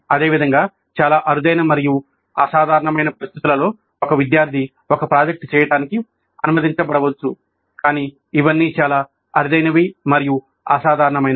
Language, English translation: Telugu, Similarly in a very rare and exceptional situations, a single student may be allowed to do a project but these are all very rare and exceptional